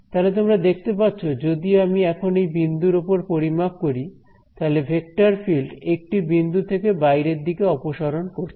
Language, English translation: Bengali, Now you can see that if I calculate at this point over here, the vector field is sort of diverging away from one point